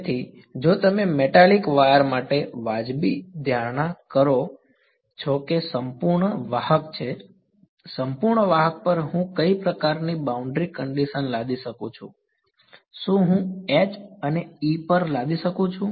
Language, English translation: Gujarati, So, if your what is a reasonable assumption for a metallic wire that is a perfect conductor; on a perfect conductor what kind of boundary condition can I imposed can I imposed on H or an E